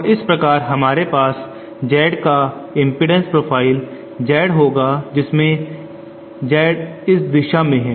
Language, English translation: Hindi, And thus we will have impedance profile Z of Z whereas Z is in this direction